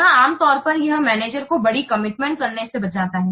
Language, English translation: Hindi, Here, normally it protects managers from making big commitment too early